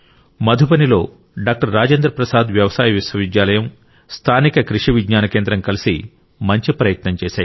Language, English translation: Telugu, Rajendra Prasad Agricultural University in Madhubani and the local Krishi Vigyan Kendra have jointly made a worthy effort